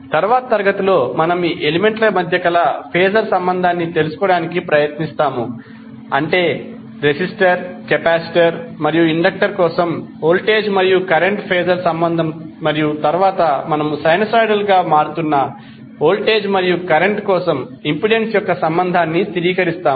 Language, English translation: Telugu, So in next class we will try to find out the phasor relationship between these elements, that is the voltage and current phasor relationship for resistor, capacitor and inductor and then we will stabilize the relationship of impedance for the sinusoidal varying voltage and current